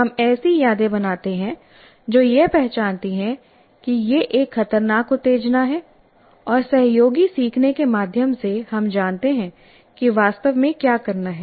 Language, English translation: Hindi, And by our, we build memories which identify that it is a threatening stimulus and through associative learning, we know what exactly to do